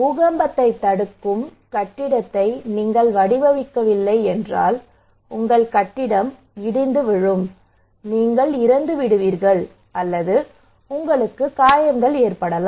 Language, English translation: Tamil, If you do not prepare built with earthquake resistant building your building will collapse, you will die or injure